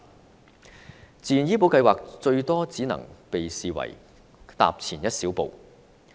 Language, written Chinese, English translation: Cantonese, 推行自願醫保計劃，最多只能被視為踏前一小步。, The implementation of VHIS will at most be regarded as a small step forward